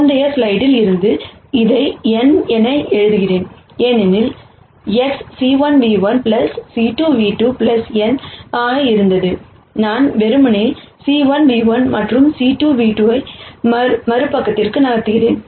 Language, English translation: Tamil, Let me write n as this from the previous slide, because X was c 1 nu 1 plus c 2 nu 2 plus n, I simply move c 1 nu 1 and c 2 nu 2 to the other side